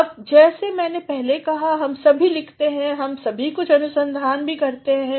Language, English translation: Hindi, Now, as I said all of us write all of us also do some amount of research